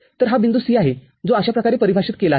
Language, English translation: Marathi, So, this is the point C, that is how it is defined